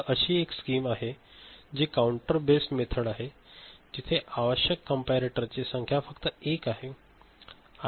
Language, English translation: Marathi, So, one such scheme is counter based method where the number of comparator required is only one ok